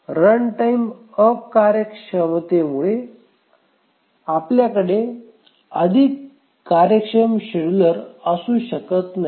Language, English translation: Marathi, Run time inefficiency, it is a bad we can have more efficient schedulers